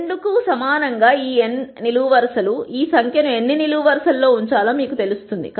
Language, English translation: Telugu, This n columns equal to 2 tells you how many columns this number should be put in